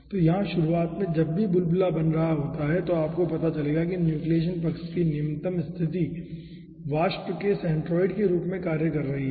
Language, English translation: Hindi, so here at the beginning, whenever ah bubble is forming, you will be finding out that the lowest position of the nucleation side is acting, at the, as the centroid of the vapor